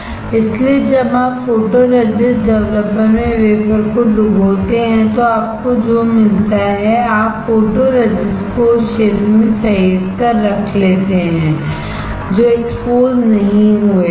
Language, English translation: Hindi, So, when you dip the wafer in photoresist developer what you get, you get photoresist saved in the area which were not exposed